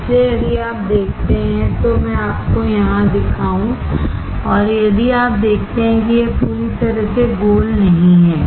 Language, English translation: Hindi, So, if you see, let me show it to you here and if you see this is not completely circle